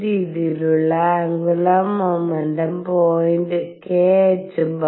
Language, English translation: Malayalam, And the angular momentum point in this way k h cross